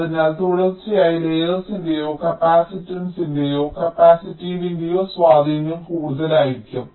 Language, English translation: Malayalam, ok, so across consecutive layers, the impact of the capacitance or the capacitive affects will be more